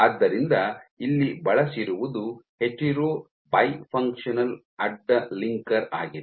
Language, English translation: Kannada, So, what is used is a hetero by functional cross linker